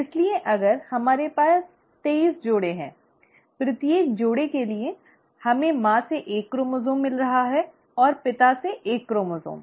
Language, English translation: Hindi, So if we have twenty three pairs; for each pair we are getting one chromosome from the mother, and one chromosome from the father